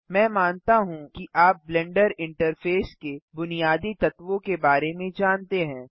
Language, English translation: Hindi, I assume that you know the basic elements of the Blender interface